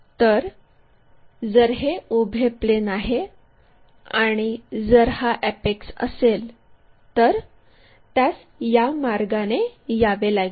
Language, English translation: Marathi, So, we have to make if this is the vertical plane, if this one is apex it has to be brought in that way